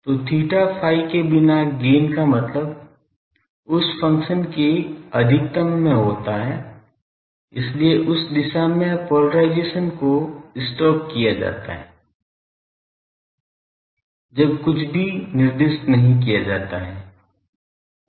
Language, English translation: Hindi, So gain without theta phi means in a maximum of that function; so, in that direction the polarisation is stocked when nothing is specified